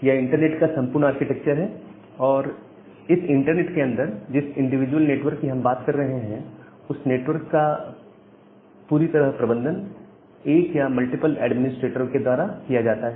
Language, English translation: Hindi, So, that is the thing that is the entire architecture of the internet and inside this internet the individual network that we are talking about; where the network is solely managed by one administrator or one or multiple administrators we call them as autonomous system